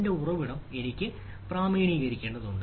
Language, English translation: Malayalam, so i need to authenticate who, who is my source